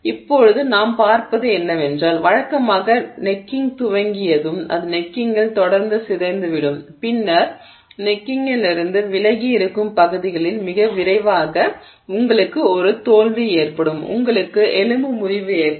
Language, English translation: Tamil, So, now what we see is that usually once the necking has started the it will continue to deform much more at the neck than at regions away from the neck and so pretty quickly you will have failure, you will have a fracture